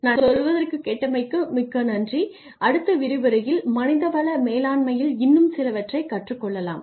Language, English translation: Tamil, But thank you very much for listening to me and we will continue with some more learning in human resource management in the next lecture